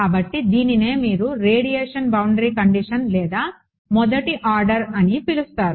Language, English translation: Telugu, So, this is what is called your either you call the radiation boundary condition or 1st order